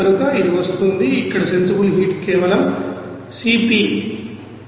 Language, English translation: Telugu, So it will be coming as here sensible heat will be simply C p is 161